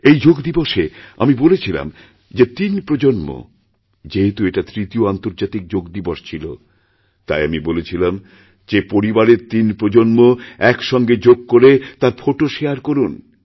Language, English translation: Bengali, On this Yoga Day, since this was the third International Day of Yoga, I had asked you to share photos of three generations of the family doing yoga together